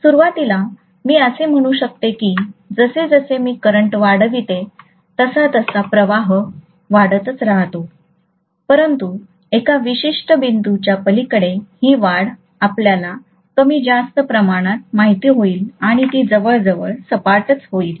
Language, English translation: Marathi, So initially, I may say that as I increase the current, the flux is increasingly linearly, but beyond a particular point, the increase will become you know less and less and it will become almost flat, right